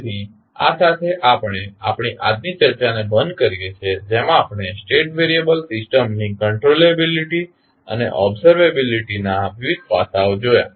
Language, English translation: Gujarati, So, with this we can close our today’s discussion in which we discuss about the controllability and observability aspect of the State variable system